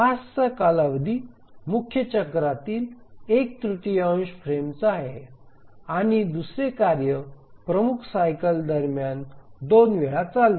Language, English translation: Marathi, So the period of the task is one third of the frames of the major cycle and the second task runs two times during the major cycle